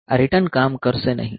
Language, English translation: Gujarati, So, this return will not work